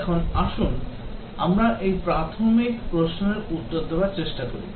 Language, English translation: Bengali, Now, let us try to answer this basic question